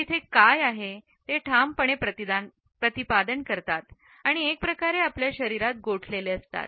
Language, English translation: Marathi, They assert what is there and this assertion, in a way, is frozen in our flesh